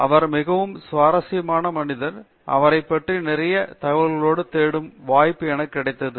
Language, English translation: Tamil, He is a very interesting personality, I had the opportunity of looking up lot of information on a about him